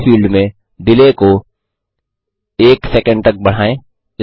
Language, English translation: Hindi, In the Delay field, increase the delay to 1.0 sec